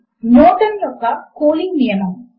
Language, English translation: Telugu, Newtons law of cooling